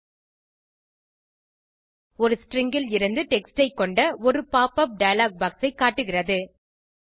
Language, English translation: Tamil, It shows a pop up dialog box containing text from the string